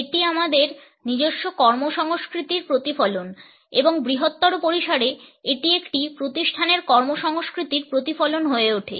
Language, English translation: Bengali, It is also a reflection of our own work culture as well as at a larger scale it becomes a reflection of the work culture of an organization